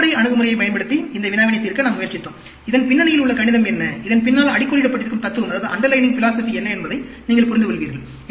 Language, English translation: Tamil, We tried to solve this problem using fundamental approach, so that, you will understand what is the underlying mathematics behind it; what is underlining philosophy behind it